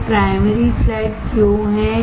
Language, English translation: Hindi, Why there is a primary flat